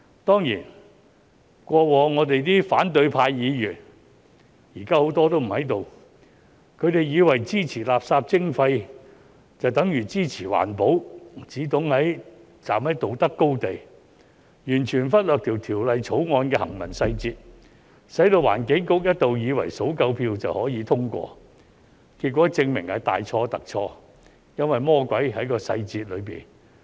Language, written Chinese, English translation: Cantonese, 當然，過往的反對派議員——現時很多都不在這裏——他們以為支持垃圾徵費就等於支持環保，只懂站在道德高地，完全忽略《條例草案》的行文細節，使環境局一度以為數夠票就可通過，結果證明是大錯特錯，因為魔鬼在細節中。, Of course Members of the opposition camp in the past many of whom are not here in the Chamber today used to think that supporting waste charging is tantamount to supporting environmental protection . They only know to take the moral high ground completely ignoring the details of the Bill . As a result the Environment Bureau once thought the Bill could be passed as long as enough votes had been secured which turned out to be a big mistake since the devil is in the details